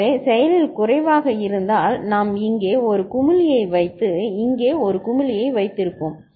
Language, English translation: Tamil, So, if active low then we would have put a bubble here and the put a bubble here